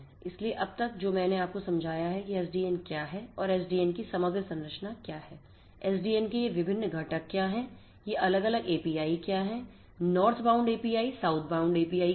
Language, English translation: Hindi, So, far what I have made you understand is what SDN is and what is the overall architecture of SDN, what are these different components of SDN, what are these different API is the northbound API and the southbound API and so on